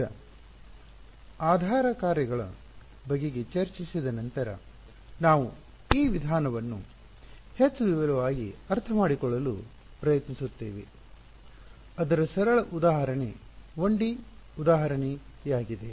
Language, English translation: Kannada, So, now having discussed the kinds of basis functions, we will look at we will try to understand this method in more detail and the simplest example is a 1D example ok